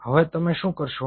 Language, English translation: Gujarati, so then, what you do